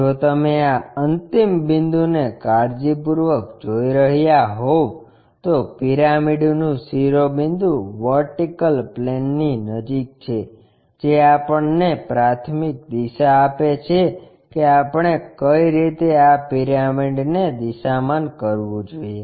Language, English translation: Gujarati, If you are looking carefully at this last point the apex of the pyramid being near to vertical plane that gives us preferential direction already which way we have to orient this pyramid